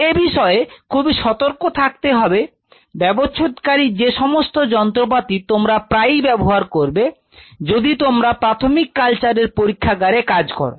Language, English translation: Bengali, So, be careful about the dissecting instruments again a tool which you will be using very frequently, if you are a primary cell culture lab